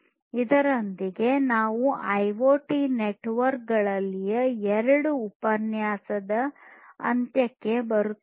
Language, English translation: Kannada, With this we come to an end of both the lectures on IoT networks